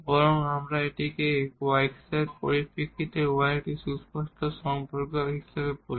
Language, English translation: Bengali, So, this is then an explicit solution is given y is a stated in terms of the x